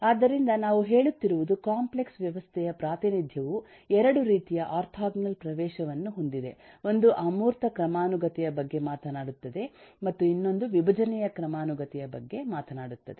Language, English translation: Kannada, so all that we are saying, that kind of the complex system representation has kind of 2 orthogonal access: 1 which talks of the abstraction hierarchy, the other which talks about decomposition hierarchy